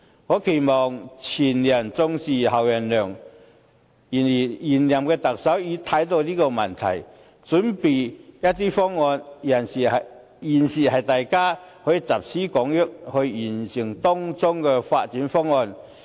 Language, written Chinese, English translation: Cantonese, 我期望"前人種樹，後人乘涼"，現任特首已經看到了這個問題，準備了一些方案，大家現在可以集思廣益，完善當中的發展方案。, I hope that after seeing this problem the incumbent Chief Executive has already prepared some proposals based on which we can improve the development project with collective wisdom